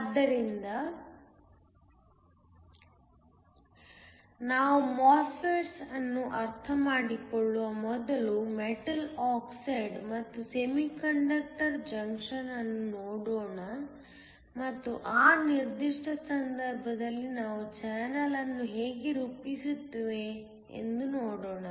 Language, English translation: Kannada, So, before we understand MOSFETS, let us just look at metal oxide and semiconductor junction and see how we form the channel in that particular case